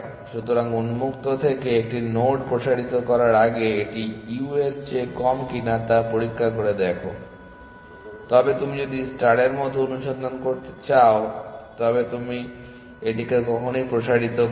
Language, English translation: Bengali, So, before expanding a node from open check whether it is less than u only then you expand it essentially now if you want to do a star like search